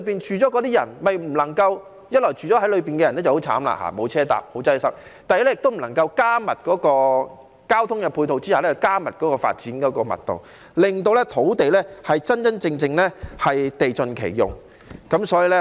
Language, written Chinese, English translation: Cantonese, 一方面，住在區內的人很慘，沒有公共交通工具，十分擠塞；另一方面，亦不能夠在加強交通配套下調高發展密度，令土地真正地盡其用。, On the one hand the people residing in the districts are very miserable because there is no public transport and the traffic there is very congested; on the other hand the development density cannot be raised under the enhanced ancillary transport facilities to genuinely optimize land use